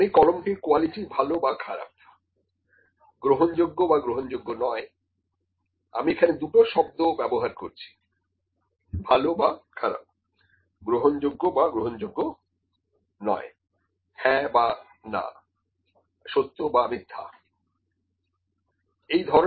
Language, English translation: Bengali, I can say good or bad; the quality of the pen is good or bad, acceptable or not acceptable if, I am using the two terms good bad acceptable not acceptable, yes no, true false whatever that is, ok